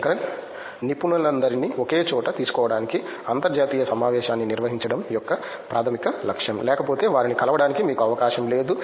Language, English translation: Telugu, That is one of the primary aim of conducting an international conference to bring all the experts in one place otherwise you don’t have an opportunity to meet them